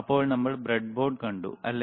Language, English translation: Malayalam, Then we have seen the breadboard, right